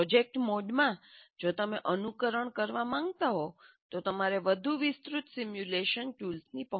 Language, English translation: Gujarati, In a project mode if you want, you have to have access to a bigger, more elaborate simulation tools